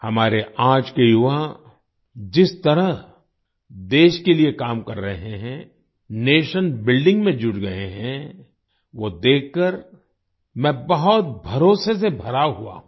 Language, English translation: Hindi, The way our youth of today are working for the country, and have joined nation building, makes me filled with confidence